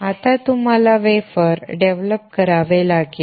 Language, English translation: Marathi, Now, you have to develop the wafer